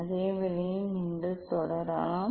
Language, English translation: Tamil, same way you can proceed